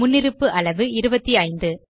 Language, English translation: Tamil, The default size is 25